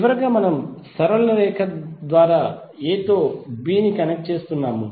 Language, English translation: Telugu, Finally we are connecting a with to b through straight line